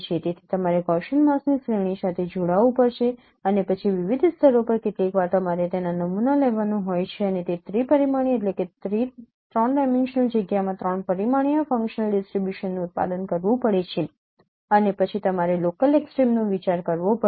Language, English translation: Gujarati, So you have to convolve with a series of Gaussian masks and then at different layers you have sometimes you have to down sample it and produce that three dimensional functional distributions in a three dimensional space and then you have to get the local extrema